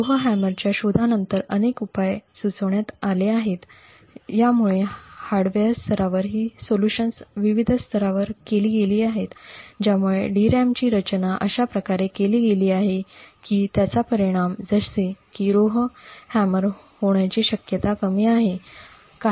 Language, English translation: Marathi, Since the discovery of Rowhammer there have been several solutions that have been proposed, so these solutions have been done at various levels at the hardware level now DRAMs are designed in such a way so that the effect of such that Rowhammer is less likely to happen